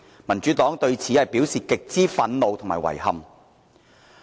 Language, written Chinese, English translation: Cantonese, 民主黨對此表示極之憤怒和遺憾。, The Democratic Party expresses utter disapproval and regret in respect of this